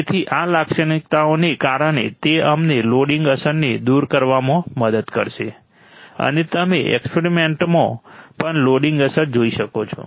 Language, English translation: Gujarati, So, because of this characteristics, it will help us to remove the loading effect and you will see loading effect in the experiments as well